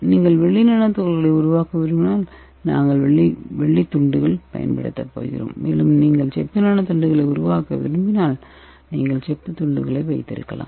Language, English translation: Tamil, And here we are going to keep your metal slice, if you want to make the silver nanoparticles we are going to give the silver slice, and if you want to make the copper you can keep the copper slice in that here